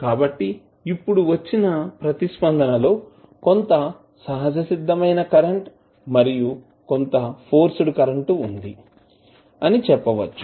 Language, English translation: Telugu, So, now let us say that the response will be some of natural current some of forced current